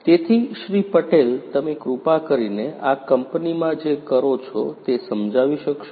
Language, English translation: Gujarati, Patel could you please explain what exactly you do in this company